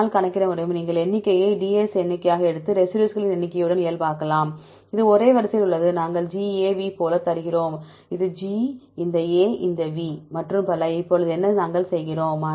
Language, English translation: Tamil, I can calculate, you can take the number of, as number of Ds and normalize with the number of residues, this is for either same order, we give like GAV, this is G, this A, this V and so on, now what we do